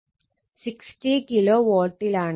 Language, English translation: Malayalam, 8 it was 60KW